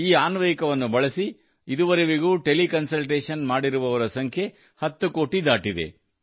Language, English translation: Kannada, Till now, the number of teleconsultants using this app has crossed the figure of 10 crores